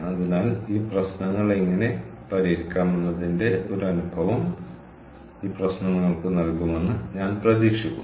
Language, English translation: Malayalam, so i i hope this problem give you a feel of how to solve these problems